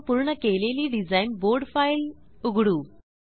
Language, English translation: Marathi, Let me open the completed design board file